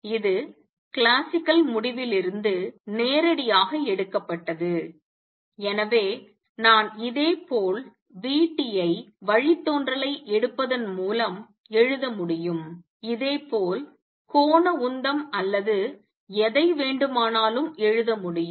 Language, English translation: Tamil, This is taking directly from the classical result and therefore, I could write vt by taking the derivative similarly I can write angular momentum or whatever